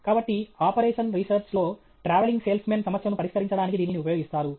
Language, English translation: Telugu, So, this, in operation research, they will use this to solve the travelling salesman problem and so on okay